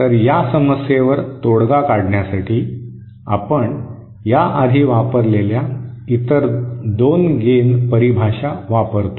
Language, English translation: Marathi, So to get around this problem, we use the other 2 gain definitions that we have used